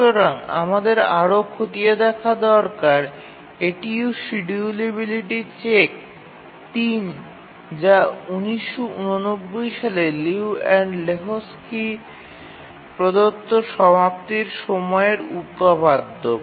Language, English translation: Bengali, And we need to check further that is the schedulability check 3 and the name of the result is completion time theorem given by Liu and Lahutski in 1987